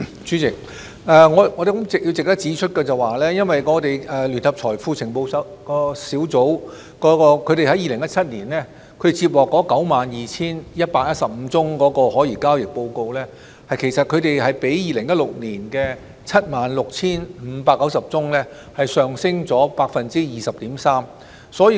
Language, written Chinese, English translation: Cantonese, 主席，我相信值得指出的是，聯合財富情報組在2017年接獲的 92,115 宗可疑交易報告，其實已較2016年的 76,590 宗上升了 20.3%。, President I believe it is worth pointing out that the 92 115 STRs that JFIU received in 2017 actually represent an increase of 20.3 % compared to the 76 590 reports recorded in 2016